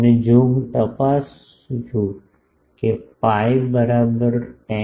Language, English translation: Gujarati, And, if I check P e is equal to 10